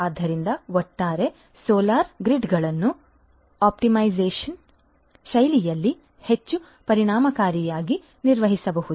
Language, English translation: Kannada, So, overall the solar grids could be managed much more efficiently in an optimized fashion